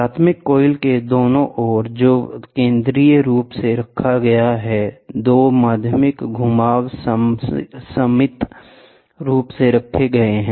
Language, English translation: Hindi, Primary winding which is centrally placed two secondary windings are symmetrically placed